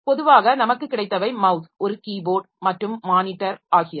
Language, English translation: Tamil, Usually we have got a mouse, a keyboard and monitor